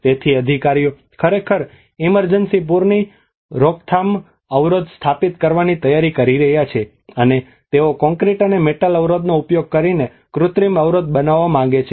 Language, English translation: Gujarati, So the authorities are actually preparing to set up an emergency flood prevention barrier, and they want to make an artificial barrier using the concrete and metal barrier